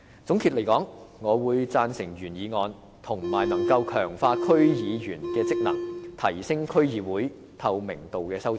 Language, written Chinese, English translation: Cantonese, 總的來說，我贊成原議案，以及可以強化區議員職能，提升區議會透明度的修正案。, To sum up I support the original motion and the amendment for strengthening the role of DCs and increasing their transparency